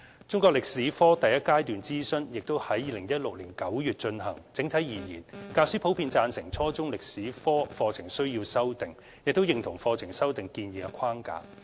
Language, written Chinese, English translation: Cantonese, 中國歷史科第一階段諮詢亦已於2016年9月進行，整體而言，教師普遍贊成初中中國歷史科課程需要修訂，並認同課程修訂建議的框架。, The first stage of consultation for the revision of the junior secondary Chinese History subject curriculum was launched in September 2016 . On the whole teachers generally agreed on the need to revise the junior secondary Chinese History subject curriculum and supported the proposed curriculum framework